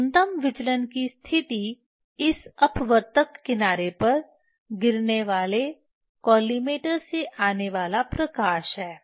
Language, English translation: Hindi, Minimum deviation position this is from this is the light from collimator falling on this refracting edge